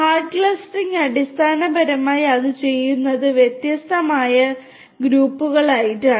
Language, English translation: Malayalam, Hard clustering basically what it does is it clusters into different distinct groups